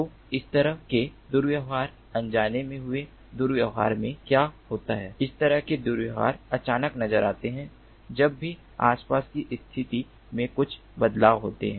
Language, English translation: Hindi, so in this kind of misbehavior, unintentional misbehavior, what happens is these sort of miss behaviors pop up whenever there is some change in the environmental conditions